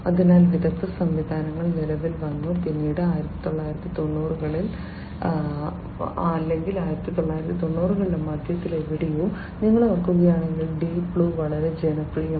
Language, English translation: Malayalam, So, expert systems came into being, then in the 1990s, somewhere in the middle; middle of 1990s if you recall the Deep Blue became very popular